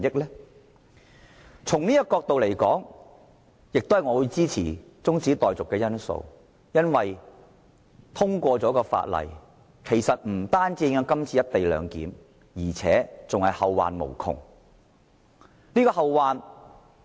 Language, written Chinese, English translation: Cantonese, 因此，從這個角度來看，我支持這項中止待續議案，因為通過《條例草案》將不單會影響"一地兩檢"的安排，而且更會後患無窮。, Therefore judging from this angle I support the adjournment motion as the passage of the Bill will not only have an implication on the co - location arrangement but will also bring endless troubles